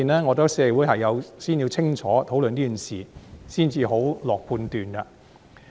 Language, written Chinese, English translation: Cantonese, 我覺得社會先要清楚討論這件事，才可下判斷。, I think the community should sort this out through discussion before it can pass a judgment